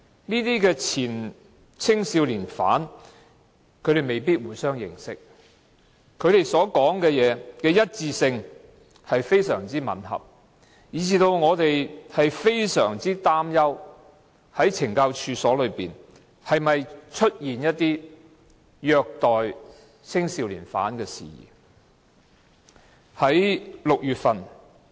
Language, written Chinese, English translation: Cantonese, 這些前青少年犯未必互相認識，但他們的說話非常吻合，以致我們非常擔憂懲教所內是否出現虐待青少年犯的事宜。, These former young offenders may not know each other but their versions are so consistent that we are greatly concerned whether there have been such instances of abuses in the correctional institutions